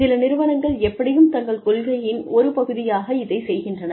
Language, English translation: Tamil, Some organizations, anyway, do it as, part of their policy